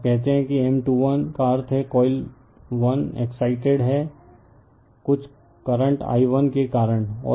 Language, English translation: Hindi, When you say M 2 1 right that means, coil 1 is excited by some current i 1 right, and that is the thing